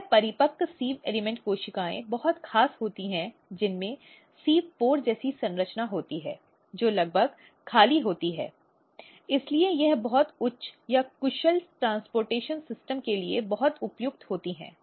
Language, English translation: Hindi, And as I say this mature sieve element cells is very special it has this sieve pore like structure this is almost empty, so it is very suitable for very high or efficienttransport system